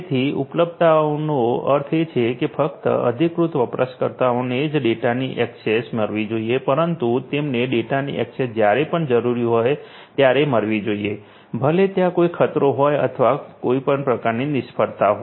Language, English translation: Gujarati, So, availability means that only the authorized users must guest access to the data, but they must get access to the data whenever IT is required; irrespective of whether there is any threat or there is any of any kind